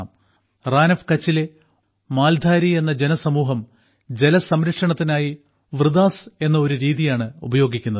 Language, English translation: Malayalam, For example, 'Maldhari', a tribe of "Rann of Kutch" uses a method called "Vridas" for water conservation